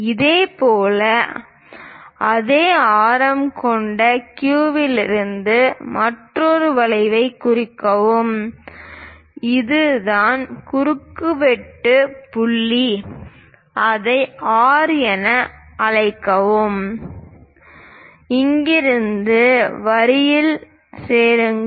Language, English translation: Tamil, Similarly, from Q point with the same radius; mark another arc so that the intersection point call it as R, from there join the line